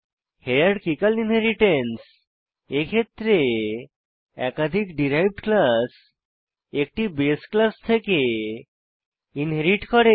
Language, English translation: Bengali, Hierarchical Inheritance In Hierarchical Inheritance multiple derived classes inherits from one base class